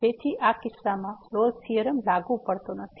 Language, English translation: Gujarati, So, the Rolle’s Theorem is not applicable in this case